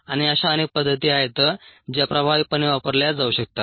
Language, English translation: Marathi, they can be used and there are many such methods that can be effectively